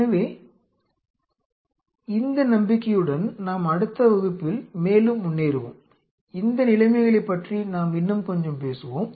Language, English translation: Tamil, So, with this hope we will be proceeding further in the next class, we will talk little bit more about these conditions